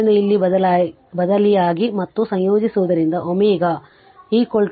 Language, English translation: Kannada, So, you substitute here and integrate you will get your omega is equal to 156